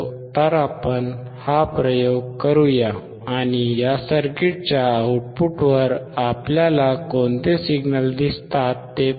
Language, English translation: Marathi, So, let us do this experiment, and see what signals we see at the output of this circuit